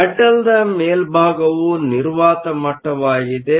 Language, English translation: Kannada, The top of the metal is your vacuum level